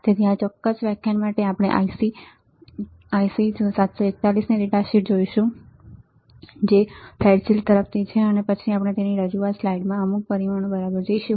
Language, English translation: Gujarati, So, for this particular lecture we will be we will be looking at the data sheet of IC 741, which is from Fairchild and then we will see some of the parameters in the presentation slide alright